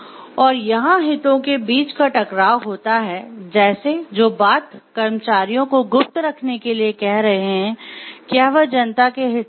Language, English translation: Hindi, When there is again a conflict of interest between like what the employees are telling to keep secret and what is good in the interest of the public at large